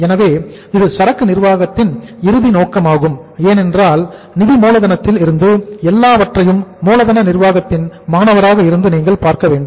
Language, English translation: Tamil, So that is the ultimate objective of the inventory management because we have to look at at as a student of working capital management everything from the financial angle